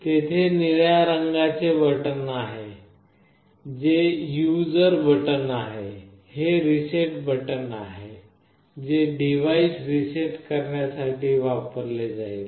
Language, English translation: Marathi, There is a blue color button that is the user button, this is the reset button that will be used to reset the device